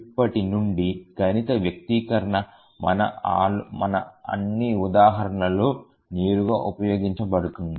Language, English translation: Telugu, So from now onwards all our examples we will use the mathematical expression directly